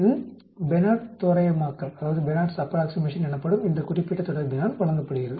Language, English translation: Tamil, It is given by this particular relationship called Benard’s approximation